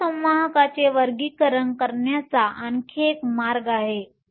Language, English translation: Marathi, There is also another way classifying semiconductors